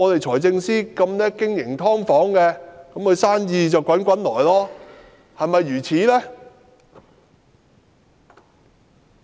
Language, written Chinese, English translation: Cantonese, 財政司司長最懂經營"劏房"，他的生意便能滾滾而來了，是否如此呢？, And as the Financial Secretary is most adept at running subdivided units does it mean that his business will then thrive? . Is that the case?